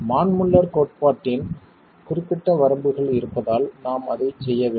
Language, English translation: Tamil, We need to do that because there are specific limitations of the Manmuller theory